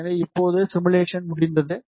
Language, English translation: Tamil, So, now, simulation is over